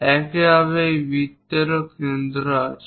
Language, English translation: Bengali, Similarly, there is center of this circle